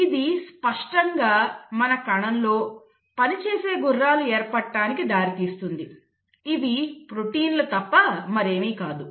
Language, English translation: Telugu, It obviously leads to formation of the working horses of our cell which nothing but the proteins